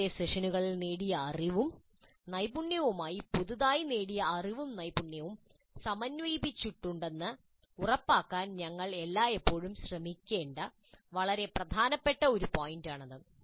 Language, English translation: Malayalam, This is a very important point that we should always try to ensure that the newly acquired knowledge and skills are integrated with the knowledge and skills acquired in earlier sessions